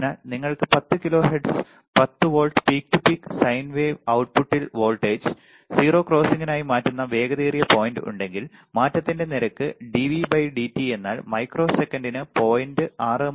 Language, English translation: Malayalam, So, if you have a 10 kilo Hertz 10 volt peak to peak sine wave right diff on the output the fastest point at which the voltage changes it as the 0 crossing, the rate of change dV by dt is nothing, but 0